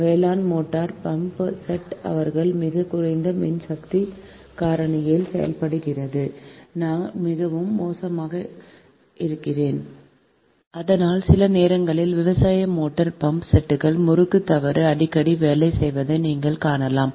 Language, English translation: Tamil, agricultural motor pumpset, they operate at very low power factor right, i mean very poor, and because of that also sometimes agricultural motor pump sets also, you will find that frequent working of the winding fault will be there right